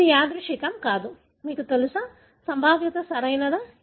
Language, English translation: Telugu, It is not random, you know, probability, right